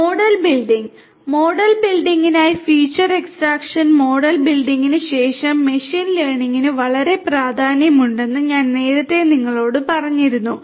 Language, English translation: Malayalam, Model building: for model building, so, I told you earlier that for machine learning after feature extraction model building is very important